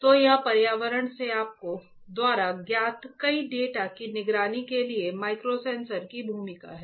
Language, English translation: Hindi, So, this is the role of the microsensors for monitoring several you know data from the environment